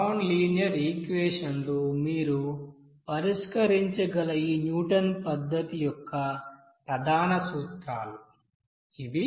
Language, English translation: Telugu, So this is the main principles of this you know Newton's method by which you can solve the nonlinear equation